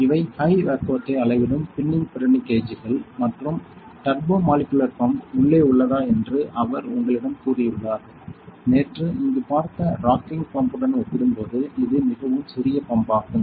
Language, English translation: Tamil, He has told you if this is these are the pinning Pirani gauges which measure the high vacuums and the turbomolecular pump is inside; it is a very small pump compared to the rocking pump as we saw yesterday here